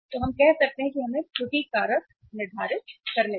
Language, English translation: Hindi, So we can say that let us determine the error factor